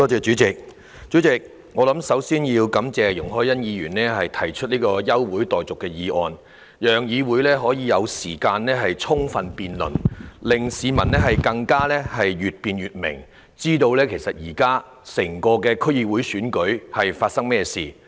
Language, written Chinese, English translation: Cantonese, 主席，首先，我想感謝容海恩議員提出這項休會待續議案，讓議會有時間充分辯論，令市民可以越辯越明，知道這次區議會選舉的情況。, President first of all I would like to thank Ms YUNG Hoi - yan for moving this adjournment motion . It has allowed sufficient time for this Council to conduct a comprehensive debate so that members of the public can have a clearer picture and know what is going on with the coming District Council DC Election